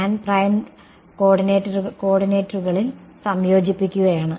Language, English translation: Malayalam, So, I am integrating over the primed coordinates ok